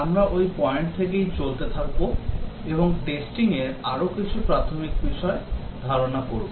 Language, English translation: Bengali, Now will continue from that point we will look at few more basic concepts in Testing